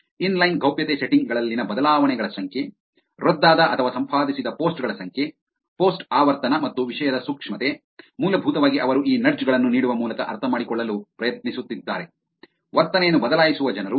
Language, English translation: Kannada, Number of changes in inline privacy settings, number of canceled or edited posts, post frequency and topic sensitivity, essentially they were trying to understand by giving these nudges are people changing the behavior